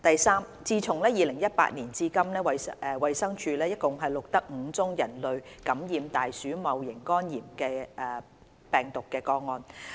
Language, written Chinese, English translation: Cantonese, 三自2018年至今，衞生署共錄得5宗人類感染大鼠戊型肝炎病毒個案。, 3 A total of five cases of human infection of rat Hepatitis E virus HEV have been recorded by the Department of Health DH since 2018